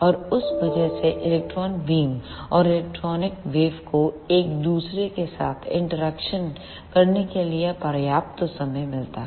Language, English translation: Hindi, And because of that electron beam and electromagnetic wave get enough time to interact with each other